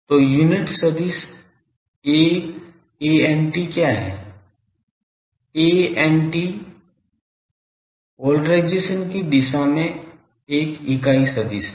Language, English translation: Hindi, So, what is the unit vector a antenna, a antenna is a unit vector in the direction of the antenna polarisation